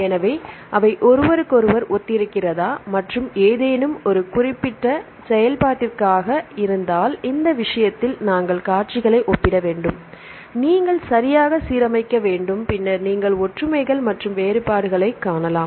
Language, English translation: Tamil, So, if the sequences whether they resemble each other and for any particular function, in this case, we need to compare the sequences and you have to align properly and you can then you can see the similarities and differences